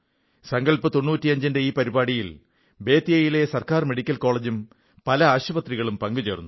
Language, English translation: Malayalam, Under the aegis of 'Sankalp Ninety Five', Government Medical College of Bettiah and many hospitals also joined in this campaign